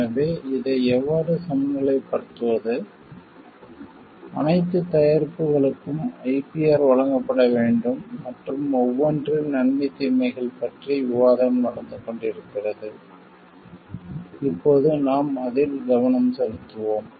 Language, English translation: Tamil, So, how to balance for this what all products should be given the IPR and all is a discussion ongoing discussion with pros and cons for each and we are focusing on that now